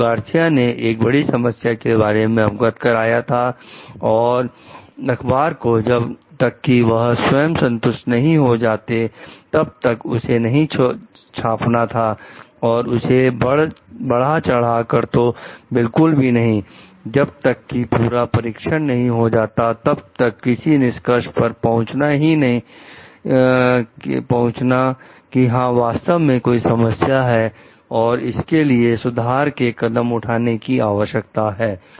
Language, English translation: Hindi, So, if Garcia has reported about the potential problem the newspaper should report till there only, and like should not have hyped it to, so much before further testing is done to make a conclusion like, yes these are actual problems and corrective actions are to be taken